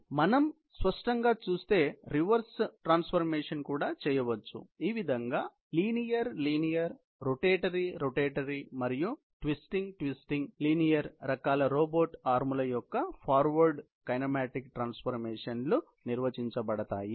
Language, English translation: Telugu, So, that is how the forward kinematic transformation of all the three systems; that is the linear linear, the rotator rotatory and the twisted linear kind of robot arms have been defined